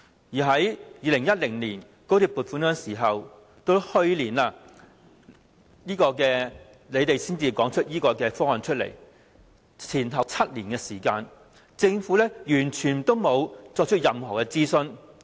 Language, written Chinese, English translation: Cantonese, 從2010年高鐵撥款到去年政府提出此方案，前後7年時間，政府完全沒有進行任何諮詢。, The Government has not conducted any consultation throughout the seven - year period from its application for XRL funding in 2010 to its release of the co - location proposal last year